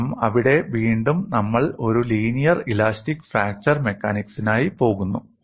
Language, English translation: Malayalam, Because there again, we are going in for a linear elastic fracture mechanics